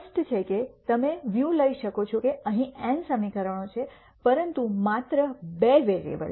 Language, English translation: Gujarati, Clearly you can take the view that there are n equations here, but only two variables